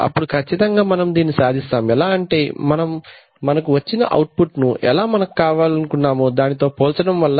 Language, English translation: Telugu, So obviously we achieve it how do we achieve it, we achieve it by comparing the output with whatever we want and then so to be able to compare